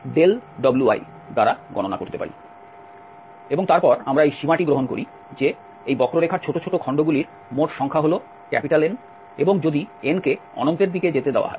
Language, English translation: Bengali, And then we take this limit that the number of segments of this total curve is N and if let N tend to infinity